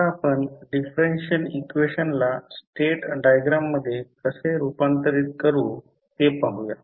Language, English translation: Marathi, Now, let us see how you will convert the differential equations into state diagrams